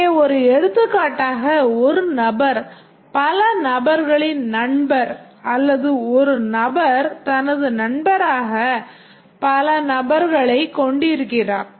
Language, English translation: Tamil, And one example here is a person is a friend of many persons or a person has many persons as his friend